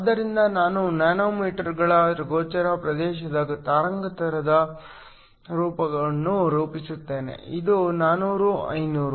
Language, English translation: Kannada, So, I will plot the visible region wavelength form of nanometers, this is 400, 500